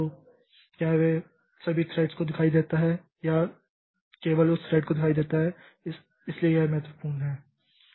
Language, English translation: Hindi, So, is it visible to all the threads or it is visible to only that that thread